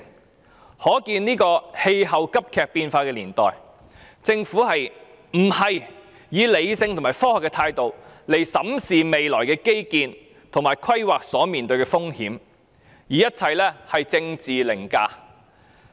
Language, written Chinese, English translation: Cantonese, 由此可見，在氣候急劇變化的年代，政府不是以理性及科學的態度審視未來基建及規劃所面對的風險，而是以政治凌駕一切。, It can thus be seen that in this age of acute and drastic climate change the Government does not take a rational and scientific manner to examine the risks to be faced by future infrastructures and planning; instead it allows politics to override everything